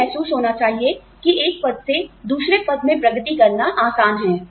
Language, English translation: Hindi, They feel, it is easier to progress, from one rank to another